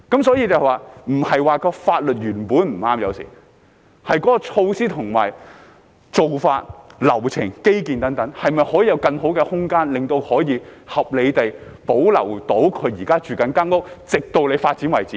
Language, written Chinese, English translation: Cantonese, 所以，有時不是說法律原本不對，而是有關措施、做法、流程、基建等，可否有更好的空間，令他們可以合理地保留現時居住的寮屋，直至政府要發展為止呢？, Therefore sometimes it is not that the law is wrong but can there be room for better measures practices procedures infrastructure etc so that they can reasonably retain the squatter structures they are living in until the Government wants development?